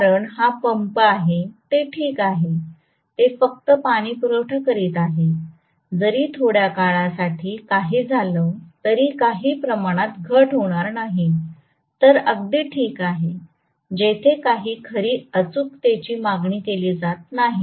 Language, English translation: Marathi, Because it is pump it is alright, it is just delivering water, for a short while if little bit of reduction happens heavens will not fall, so these are okay where very great accuracy is not really demanded right